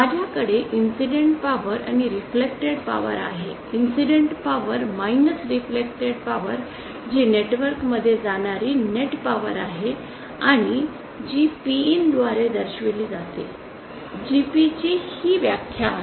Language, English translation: Marathi, I have an incident power and a reflected power that incident power minus the reflected power is the net power that is going inside the network and that is represented by Pin so this is the definition of GP